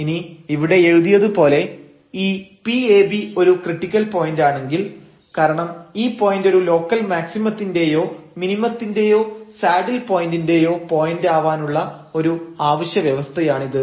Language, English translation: Malayalam, So, here as written there if ab is a critical point so definitely because this is a necessary condition to discuss that, this point is a local point of local maximum minimum or a saddle point